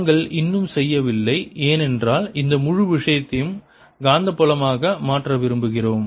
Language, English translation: Tamil, and that point we are not yet done because we want to convert this whole thing into the magnetic field